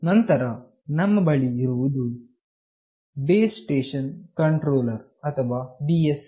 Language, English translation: Kannada, Then we have Base Station Controller or BSC